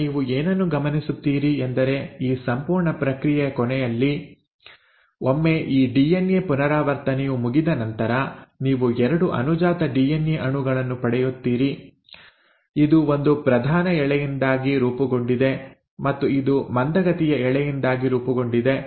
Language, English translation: Kannada, Now you notice at the end of this entire process, once this DNA replication has happened what you end up getting are 2 daughter DNA molecules, this one formed because of a leading strand, right, and this one formed because of the lagging strand